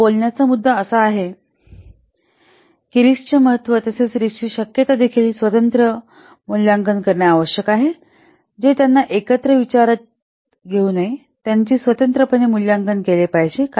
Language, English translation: Marathi, So the point of speaking is that the importance of the the risk as well as the likelihood of the risks, they need to be separately assessed